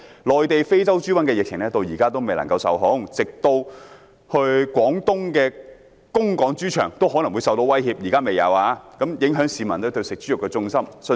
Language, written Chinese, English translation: Cantonese, 內地的非洲豬瘟疫情至今並未受控，廣東的供港豬場都可能受到威脅，雖然現時仍未發生，但已影響市民食用豬肉的信心。, In the Mainland the outbreak of African swine fever has not yet been contained and the pig farms in Guangdong supplying pigs to Hong Kong may also be threatened . Although this has not yet happened the confidence of the public in consuming pork is already affected